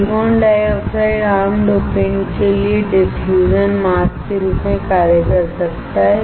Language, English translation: Hindi, The silicon dioxide can act as a diffusion mask for common dopants